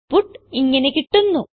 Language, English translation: Malayalam, We get the output as follows